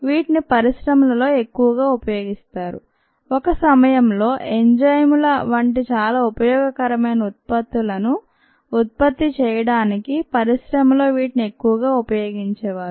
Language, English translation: Telugu, they were heavily used in the industry at one point in time to produce very useful products, such is enzyme